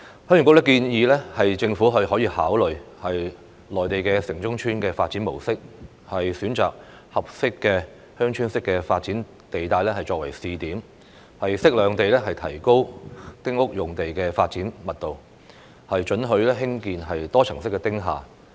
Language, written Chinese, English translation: Cantonese, 鄉議局建議政府可以參考內地城中村的發展模式，選擇合適的鄉村式發展地帶作為試點，適量地提高丁屋用地的發展密度，准許興建多層式"丁廈"。, HYK suggests that the Government may draw reference from the development approach of villages in towns in the Mainland to identify suitable Village Type Development zones as pilot sites for appropriately increasing the development density of small houses on which the construction of multi - storey small buildings will be allowed